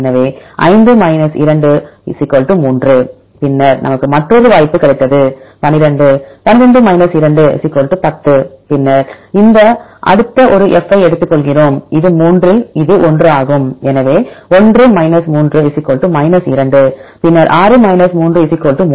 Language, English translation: Tamil, So, 5 2 = 3, then we got another possibility is 12, 12 2 = 10 then we take this next one F, it is in 3 here this is 1; so 1 3 = 2 and then 6 3 = 3